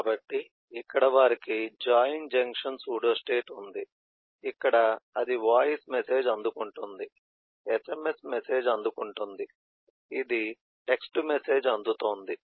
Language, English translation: Telugu, so here they have a join eh junction pseudostate where this is receiving a voice message, receiving eh sms message, this is receiving a text message